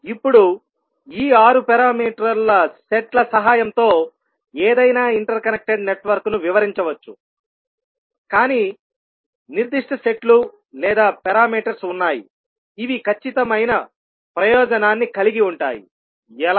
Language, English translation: Telugu, Now, we can describe any interconnected network with the help of these 6 parameter sets, but there are certain sets or parameters which may have a definite advantage, how